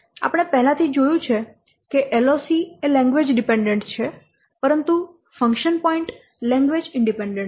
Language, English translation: Gujarati, We have a lot seen LOC is language dependent but function points are language independent